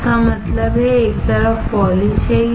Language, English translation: Hindi, That means, one side is polished